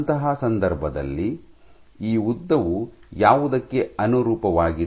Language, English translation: Kannada, So, in that case what this length corresponds to